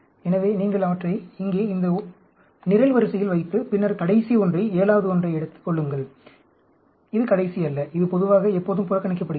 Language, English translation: Tamil, So, you put them here, in this column, and then, take the last one, 7th one; this is not, not the last one; this is ignored generally, always